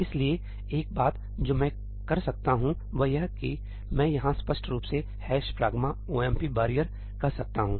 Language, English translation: Hindi, So, one thing I can do is I can explicitly say ëhash pragma omp barrierí here